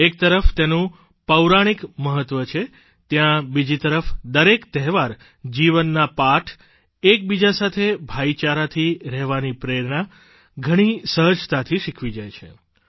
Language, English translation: Gujarati, On the one hand, where they have mythological significance, on the other, every festival quite easily in itself teaches the important lesson of life the value of staying together, imbued with a feeling of brotherhood